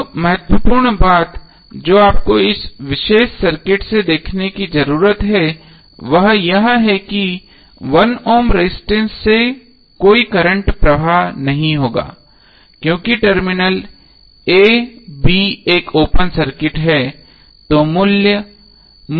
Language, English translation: Hindi, Now important thing which you need to see from this particular circuit is that there would be no current flowing through this particular resistance because the terminal a b is open circuit